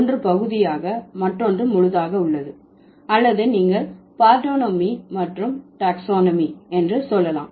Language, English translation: Tamil, One is part, the other one is whole, or you can say partonomy and taxonomy